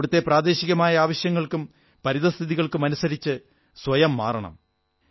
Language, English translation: Malayalam, They have to mould themselves according to the local needs and environment